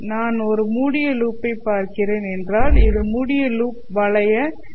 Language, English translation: Tamil, If I am looking at a closed loop then this would be the closed loop MMF